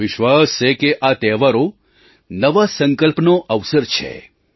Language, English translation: Gujarati, I am sure these festivals are an opportunity to make new resolves